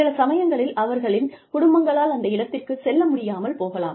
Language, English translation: Tamil, Sometimes, families may not be able to go there